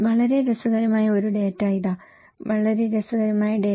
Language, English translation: Malayalam, Here is a very interesting data, very interesting data